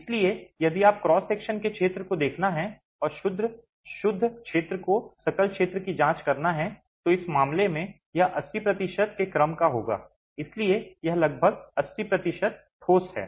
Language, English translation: Hindi, So, if you were to look at the area of cross section and examine the net area to the gross area, in this case it would be of the order of 80%